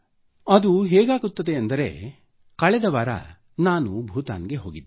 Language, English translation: Kannada, Just last week I went to Bhutan